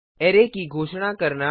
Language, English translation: Hindi, Declaration of an array